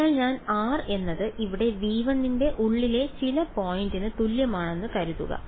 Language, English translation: Malayalam, So, supposing I put r is equal to some point inside v 1 here